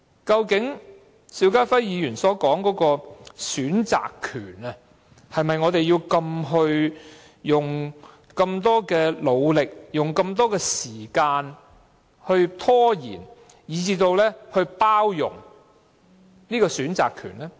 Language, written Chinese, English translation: Cantonese, 究竟邵家輝議員所說的選擇權，是否值得我們花這般努力和時間來拖延，以至包容這個選擇權呢？, As for the right to choose mentioned by Mr SHIU Ka - fai does it worth our effort and time to procrastinate and even tolerate such right to choose?